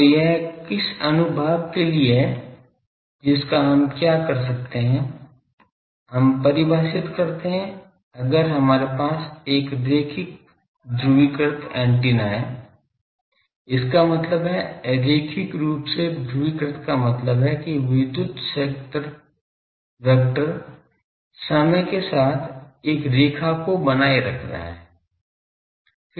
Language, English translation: Hindi, So, which sections it is for that what we do, we define that if we have a linearly polarized antenna; that means, linearly polarized means the electric field vector is having a with time it is maintaining a along a line